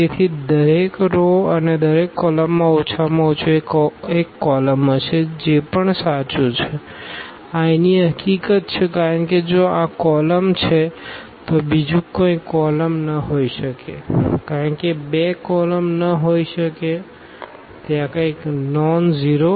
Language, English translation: Gujarati, So, each row and each column will have at most one pivot that is also true this is the fact here because if this is the pivot then nothing else can be the pivot because 2 cannot be pivot it is left to this something nonzero is sitting